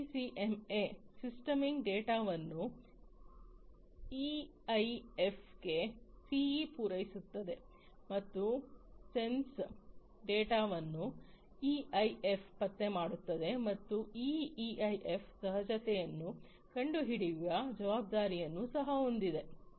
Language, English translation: Kannada, In SDCMA, the streaming data is supplied to the EIF by the CE, and the sense data is detected by the EIF, and this EIF is also responsible for detecting the abnormality